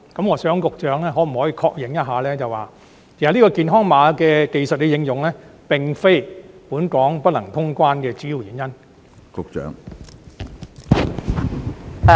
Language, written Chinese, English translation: Cantonese, 我想問局長可否確認一下，健康碼技術的應用，並非本港不能通關的主要原因？, I would like to ask whether the Secretary will confirm that the application of the health code technology is not the main reason why Hong Kong has failed to resume quarantine - free travel